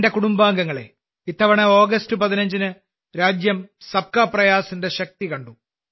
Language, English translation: Malayalam, My family members, this time on 15th August, the country saw the power of 'Sabka Prayas'